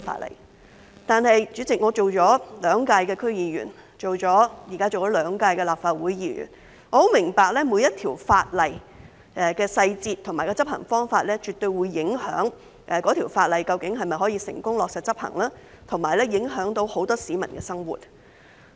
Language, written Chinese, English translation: Cantonese, 不過，代理主席，我已當了兩屆區議員，現在也當了兩屆立法會議員，我很明白每項法例的細節和執行方法絕對會影響該法例能否成功落實執行，以及很多市民的生活。, Yet Deputy President as I have been a District Council member for two terms and a Member of the Legislative Council for two terms by now I understand full well that the details of each piece of legislation and its implementation approaches will definitely affect the successful implementation of the legislation and the livelihood of many people